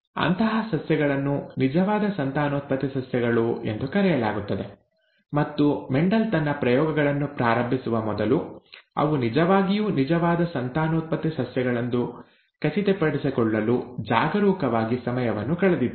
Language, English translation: Kannada, Such plants are called true breeding plants and Mendel was careful to spend the time to achieve true, to make sure that they were indeed true breeding plants before he started out his experiments